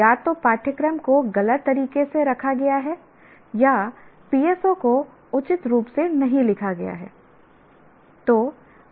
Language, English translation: Hindi, Either the course is wrongly put in that or the PSOs were written not appropriately